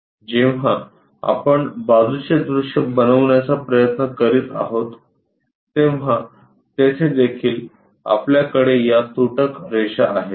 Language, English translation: Marathi, When this side view if we are trying to make it there also, we have this dashed lines